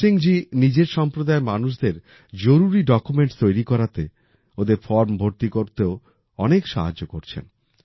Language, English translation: Bengali, Bhim Singh ji also helps his community members in making necessary documents and filling up their forms